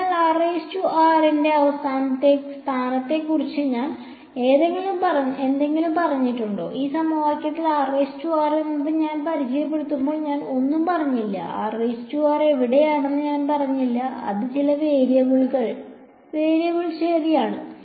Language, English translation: Malayalam, So, have I said anything about the location of r prime I have said absolutely nothing right when I introduce r prime in this equation, I did not say word about where r prime is it just came as some variable right